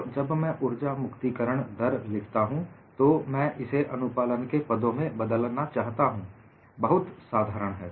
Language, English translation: Hindi, So, when I write energy release rate, I would replace this in terms of the compliance; fairly simple